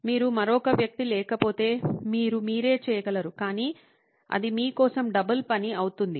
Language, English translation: Telugu, If you do not have another person you can do it yourself but it will be double work for you